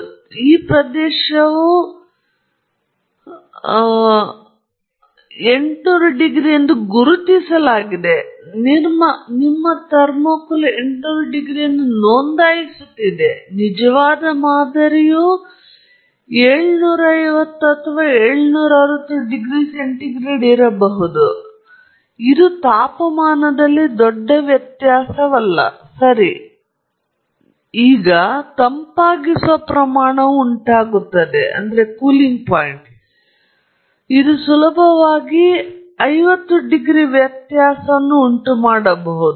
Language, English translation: Kannada, And, in this region you could have gas flowing, you could have lot of different things happening, and therefore, even though this region is marked as 800 degrees C that your thermocouple is registering 800 degrees C, your actual sample may be sitting at 750 760 degrees C; that’s not a big difference in temperature in terms of, you know, that the cooling rate might have caused that, could easily caused that 50 degrees difference